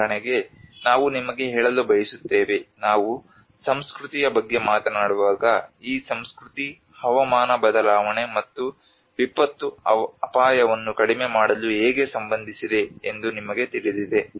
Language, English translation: Kannada, Like for instance, we are also I want to bring you that when we talk about culture you know how this culture is related to climate change and disaster risk reduction